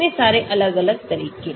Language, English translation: Hindi, so many different methods